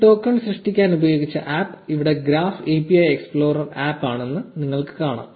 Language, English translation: Malayalam, You can see the app that was used to generate this token it says the graph API explorer app here